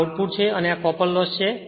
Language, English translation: Gujarati, This is the output and this is the copper loss right